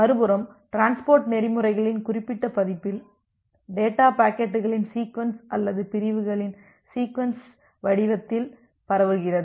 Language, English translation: Tamil, On the other hand in certain version of transport protocols, the data is transmitted in the form of sequence of packets or sequence of segments